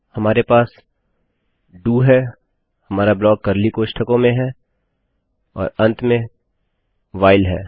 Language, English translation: Hindi, We have DO, our block with the curly brackets, and WHILE at the end